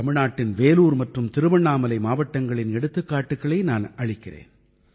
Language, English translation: Tamil, Take a look at Vellore and Thiruvannamalai districts of Tamilnadu, whose example I wish to cite